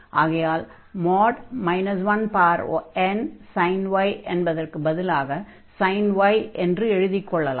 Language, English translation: Tamil, So, this sin n pi plus y is replaced by minus 1 power n sin y